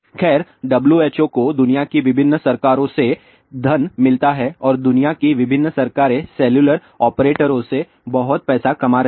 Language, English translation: Hindi, Well, WHO gets funding from various governments of the world and the various governments of the world are making lots of money from cellular operators